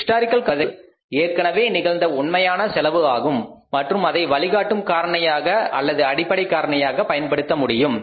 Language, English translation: Tamil, Historical cost is the one is the actual cost which has already happened and it can be used as the guiding factor or the base level factor